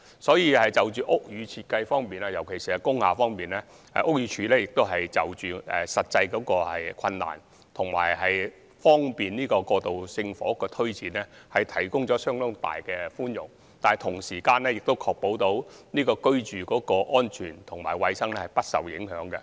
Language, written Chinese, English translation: Cantonese, 所以，就屋宇設計方面，特別是工廈方面，屋宇署會就實際困難及為求方便推展過渡性房屋項目，提供相當多的寬免，但同時亦須確保居住安全和衞生不受影響。, Hence with regard to building design particularly that of industrial buildings considering the actual difficulties and the need to facilitate the implementation of transitional housing projects BD will grant quite many exemptions while ensuring that safety and hygiene standards of the buildings are not compromised